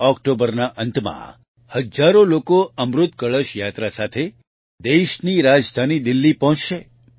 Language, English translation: Gujarati, At the end of October, thousands will reach the country's capital Delhi with the Amrit Kalash Yatra